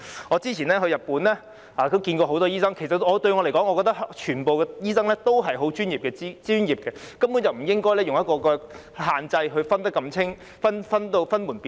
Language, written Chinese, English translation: Cantonese, 我先前到日本時也見過很多醫生，對我來說，全部醫生均十分專業，根本不應設定限制，把他們區分得如此清楚或分門別類。, Some time ago when I was in Japan I met a lot of doctors there . To me all doctors are professional and actually no restriction should be imposed to make such a clear distinction of them or divide them into different categories